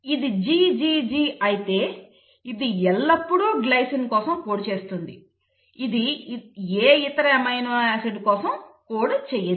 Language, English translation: Telugu, It means if it is GGG it will always code for a glycine, it cannot code for any other amino acid